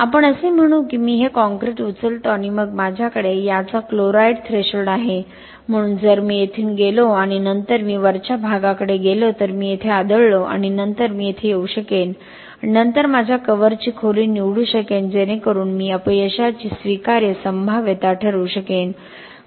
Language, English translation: Marathi, Let us say I pick this concrete and then I have a chloride threshold of this, so if I go from here and then I go to the top I hit here and then I can come here and then pick my cover depth, pick my cover depth so that I can decide whichever probability of failure or acceptable probability of failure